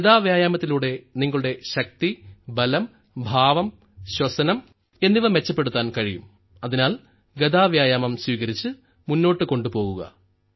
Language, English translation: Malayalam, With mace exercise you can improve your strength, power, posture and even your breathing, so adopt mace exercise and take it forward